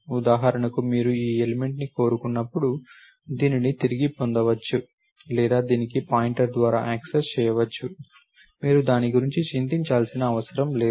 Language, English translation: Telugu, When you wanted this element for example, it will can be retrieved or accessed by a pointer to this, you do not have to worry about it